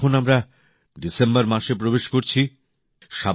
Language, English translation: Bengali, we are now entering the month of December